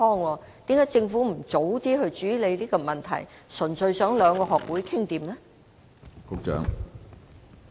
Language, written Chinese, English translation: Cantonese, 為何政府不早些處理這個問題，而是單純依靠兩個學會自行商量和處理呢？, Why didnt the Government tackle the issue earlier but merely relied on these two bodies to negotiate and resolve the problem on their own?